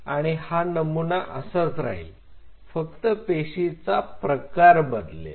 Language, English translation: Marathi, And this paradigm will remain the same only the cell type will vary